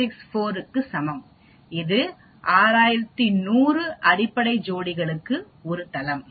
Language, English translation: Tamil, 000164, that is one site per 6100 base pairs